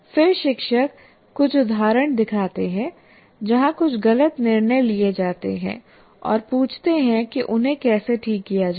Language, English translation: Hindi, And then the teacher shows some examples where certain wrong decisions are made and asks what is wrong and how to fix them